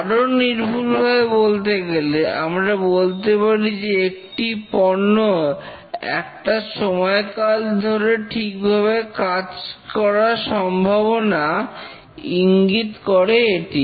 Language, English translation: Bengali, More accurately, you can say that the probability of the product working correctly over a given period of time